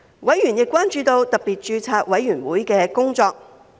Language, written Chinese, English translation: Cantonese, 委員亦關注到特別註冊委員會的工作。, Members are also concerned about the work of the Special Registration Committee SRC